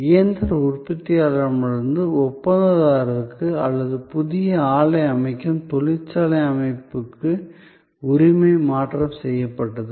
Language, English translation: Tamil, So, there was a transfer of ownership from the machine manufacturer to the contractor or to the factory system constructing the new plant